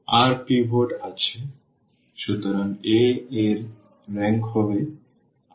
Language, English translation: Bengali, There are r pivots; so, the rank of a will be r